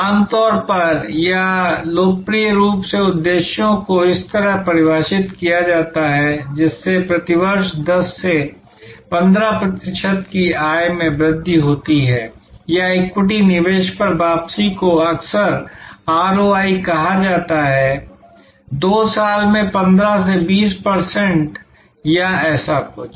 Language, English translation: Hindi, Normally or popularly, objectives are define like this, that increase earnings growth from 10 to 15 percent per year or boost return on equity investment in short often called ROI, from 15 to 20 percent in 2 years or something like that